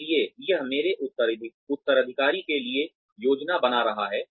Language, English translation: Hindi, So, it is planning for my successor